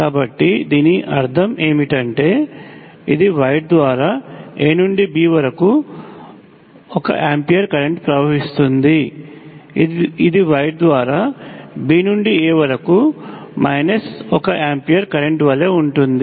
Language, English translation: Telugu, So what does this mean, this is 1 ampere current from A to B through the wire which is exactly the same as the minus one amp current from B to A through the wire